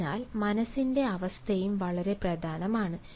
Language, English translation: Malayalam, so state of their mind is also very important